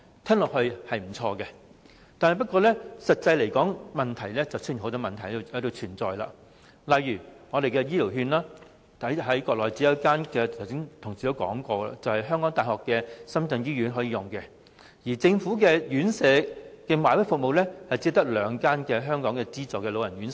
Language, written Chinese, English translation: Cantonese, 這項建議聽起來是不錯，不過，實際執行便會發現存在不少問題，例如醫療券，在國內只有一間香港大學深圳醫院可使用；而政府的院舍"買位"服務，只有兩間港資老人院推行。, This suggestion sounds nice but will meet not a few difficulties in actual implementation . For example health care vouchers can only be used in one hospital on the Mainland ie . the University of Hong Kong - Shenzhen Hospital and only two Hong Kong invested elderly homes on the Mainland are under the Governments Enhanced Bought Place Scheme